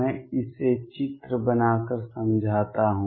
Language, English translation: Hindi, Let me explain this by making pictures